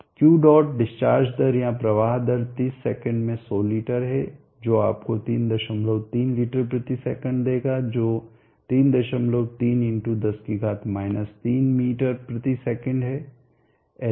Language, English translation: Hindi, the discharge rate or the flow rate is 100 liters in 30sec which will give you 3